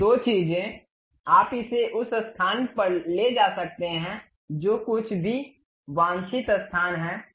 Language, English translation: Hindi, These two things, you can really move it whatever the desired location you would like to have in that way